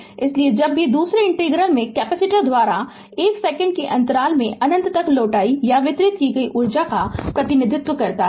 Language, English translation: Hindi, So, so whenever in the second integral represent the energy returned or delivered by the capacitor in the interval 1 second to infinity